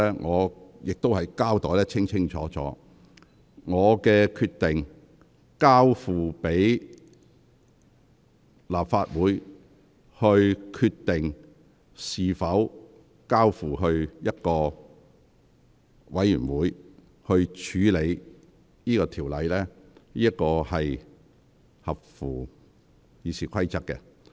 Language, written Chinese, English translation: Cantonese, 我亦已清楚交代，我為何決定交由立法會決定是否將《條例草案》交付人力事務委員會處理，這做法符合《議事規則》。, I have given a full explanation why I have decided to let the Legislative Council decide whether the Bill should be referred to the Panel on Manpower which is in line with the Rules of Procedure